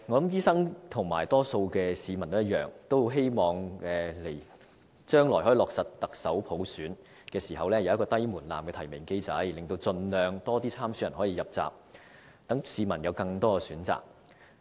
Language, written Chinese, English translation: Cantonese, 醫生和多數市民一樣，均很希望將來落實行政長官普選時，可以有低門檻的提名機制，令盡量多的參選人可以入閘，讓市民有更多選擇。, Like the majority of the public doctors very much hope that when universal suffrage for the Chief Executive election is implemented in the future a low - threshold nomination mechanism can be put in place to allow as many candidates as possible to enter the race so as to give the public more choices